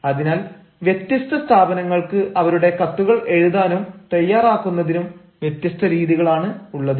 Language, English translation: Malayalam, so different organizations have different ways of formulating or drafting their letter